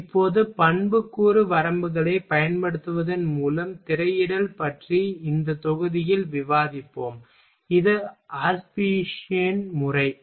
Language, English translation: Tamil, Now, we will discuss in this module about screening by applying attribute limits, that is the Ashby’s method ok